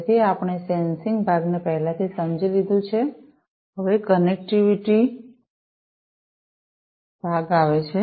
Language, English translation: Gujarati, So, we have already understood the sensing part now next comes the connectivity part